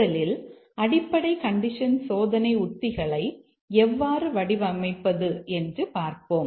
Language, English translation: Tamil, First, let's see how do we design the basic condition testing strategies